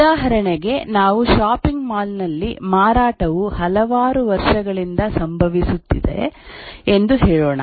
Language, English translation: Kannada, For example, let's say in a shopping mall sales is occurring over a number of years